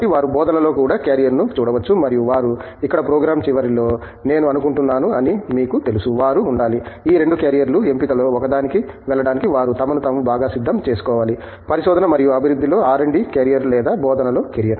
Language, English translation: Telugu, So, they can also look to a carrier in teaching and you know they I think at the end of the program here, they should be, they should equip themselves well to go into one of these 2 carrier options, either carrier in Research and Development or a carrier in Teaching